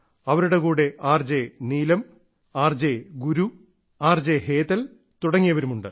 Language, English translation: Malayalam, Her other companions are RJ Neelam, RJ Guru and RJ Hetal